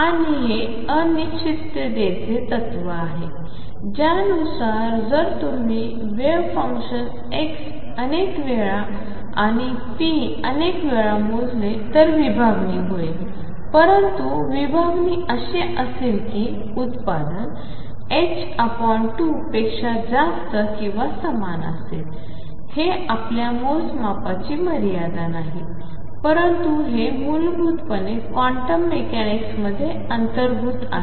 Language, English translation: Marathi, And this is the uncertainty principle, which says that if you measure for a wave function x many many times and p many many times there will be a spread, but the spread is going to be such that it is product will be greater than or equal to h cross by 2, it is not a limitation of your measurement, but this is fundamentally inherent in quantum mechanics